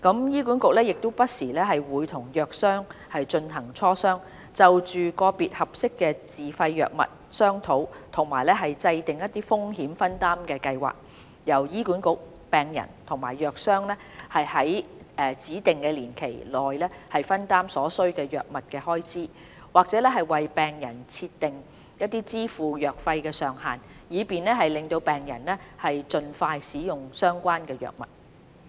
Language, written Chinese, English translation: Cantonese, 醫管局亦會不時與藥商進行磋商，就個別合適的自費藥物商討及制訂風險分擔計劃，由醫管局、病人與藥商在指定年期內分擔所需的藥物開支，或為病人設定支付藥費的上限，以便讓病人能盡快使用相關藥物。, HA will also liaise with pharmaceutical companies from time to time on setting up risk sharing programmes for certain suitable SFIs . Under the programmes HA patients and pharmaceutical companies would contribute to the drug costs in specific proportions within a defined period or the drug treatment costs to be borne by patients would be capped with a view to facilitating patients early access to specific drug treatments